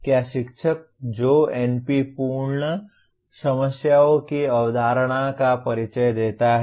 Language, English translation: Hindi, Is the teacher who introduces the concept of NP complete problems